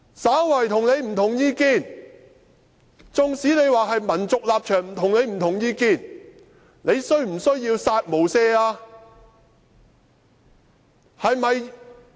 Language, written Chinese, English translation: Cantonese, 稍為與他不同意見，縱使是民族立場與他的意見不同，他便要"殺無赦"嗎？, For anyone who holds an opinion slightly different from him even if their positions on patriotism are different from his he would kill without mercy